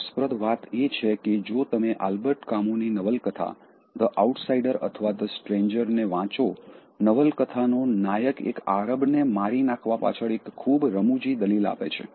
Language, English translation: Gujarati, Interestingly, if you read Albert Camus’, The Outsider or the Stranger, the protagonist of the novel, gives a very funny argument for the reason he killed one of the Arabs in the novel